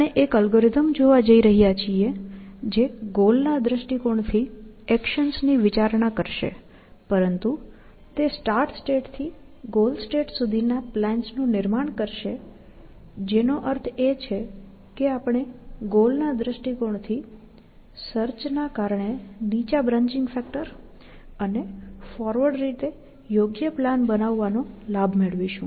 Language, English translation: Gujarati, We want to look at an algorithm, which will consider actions from the goal point of view, in a goal directed fashion, but it will construct plans from the starting state to the goal state, essentially, which means that we will be benefiting from the low branching factor of doing goal directed search, and also, the soundness of constructing a plan in a forward manner, essentially